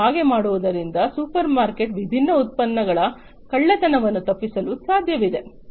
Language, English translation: Kannada, And by doing so it is possible to avoid theft of different products from the supermarkets and so on